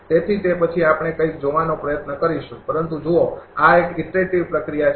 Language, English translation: Gujarati, So, that then we will try to see something, but look this is an iterative process